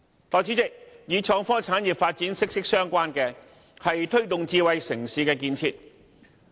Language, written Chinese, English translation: Cantonese, 代理主席，與創科產業發展息息相關的，是推動智慧城市的建設。, Deputy President promoting the development of smart city is closely linked with the development of the innovation and technology industry